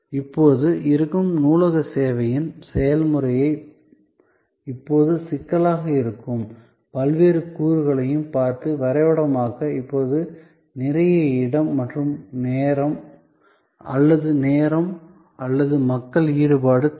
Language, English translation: Tamil, Now, mapping the process of the existing library service, looking at the different elements that are now bottlenecks are now takes a lot of space or time or people engagement